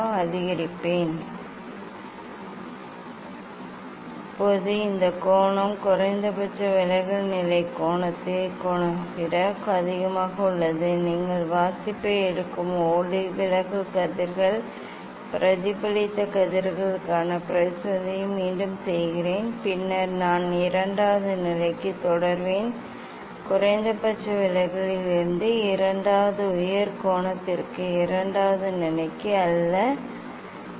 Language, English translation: Tamil, Now reflected refracted one start to reverse means I am approximately at the position of the minimum deviation I will change it is now moving this other way now this angle is higher is greater than the angle of the of the minimum deviation position incident angle repeat the experiment for refracted rays reflected rays you take the reading, then I will continue for second position not second position for second higher angle from the minimum deviation position